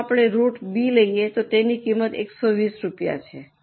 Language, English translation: Gujarati, If we go by root B, the cost is 120 rupees